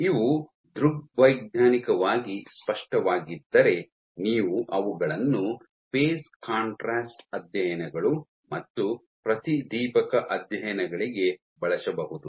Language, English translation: Kannada, So, you if these optically clear then you can image hem for doing phase contrast studies as well as fluorescence studies